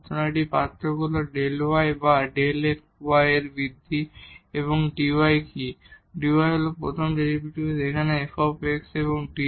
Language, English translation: Bengali, So, now, the difference here is the delta y or the increment in delta y this one and what is this dy, dy is this first derivative here f x f prime x and d x